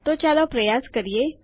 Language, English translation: Gujarati, So lets try it